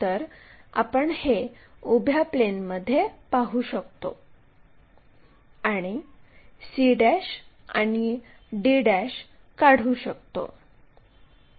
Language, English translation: Marathi, So, we can visualize that in the vertical plane, draw that c' and d' lines